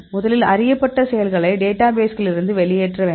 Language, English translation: Tamil, First we have to get the known actives from exisiting databases